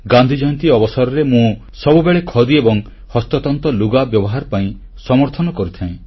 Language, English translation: Odia, On Gandhi Jayanti I have always advocated the use of handloom and Khadi